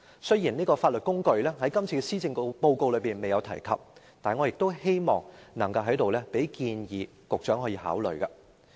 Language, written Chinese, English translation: Cantonese, 雖然今次施政報告沒有提及這項法律工具，但我希望在此建議局長考慮。, Although this time the Policy Address did not mention this legal instrument here I wish to suggest that the Secretary give it consideration